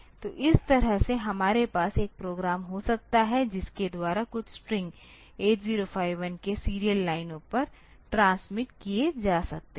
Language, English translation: Hindi, So, this way we can have a program by which some string can be transmitted over the serial lines of 8 0 5 1